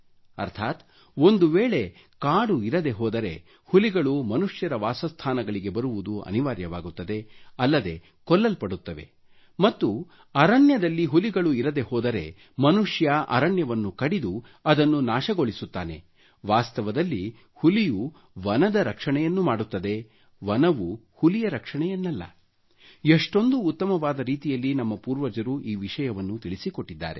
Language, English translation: Kannada, That is, if there are no forests, tigers are forced to venture into the human habitat and are killed, and if there are no tigers in the forest, then man cuts the forest and destroys it, so in fact the tiger protects the forest and not that the forest protects the tiger our forefathers explained this great truth in a befitting manner